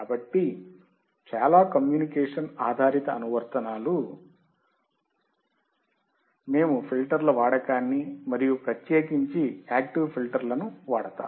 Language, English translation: Telugu, So, most of the communication based applications, we will see the use of the filters and in particular active filters